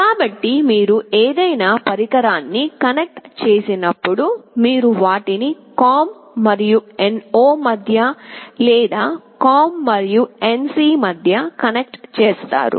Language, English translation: Telugu, So, when you connect any device you either connect them between the COM and NO, or between COM and NC